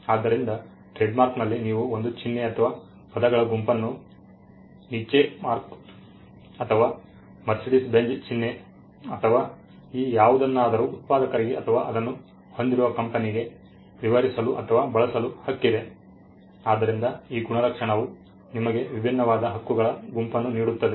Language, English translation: Kannada, So, in trademark the right is for you to describe a symbol or a set of words the Niche mark or the Mercedes Benz logo or any of these things to a manufacturer or to a company which owns it; so this attribution gives you a set of rights that are different